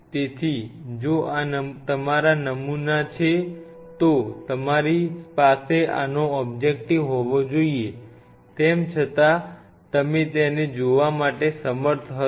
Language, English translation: Gujarati, So, if this is your sample you should have the objective this for and yet you will you will be able to see it